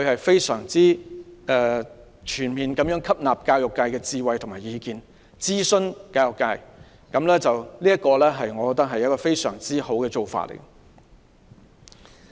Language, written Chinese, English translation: Cantonese, 當時她全面吸納了教育界的智慧和意見，並諮詢教育界，我認為這是非常好的做法。, She fully absorbed the wisdom and views of the education sector and consulted the education sector . I think this is a very good approach